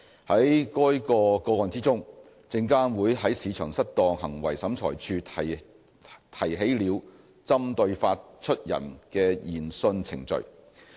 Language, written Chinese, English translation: Cantonese, 在該個案中，證監會在市場失當行為審裁處提起了針對發出人的研訊程序。, In that case SFC brought Market Misconduct Tribunal MMT proceedings against the issuer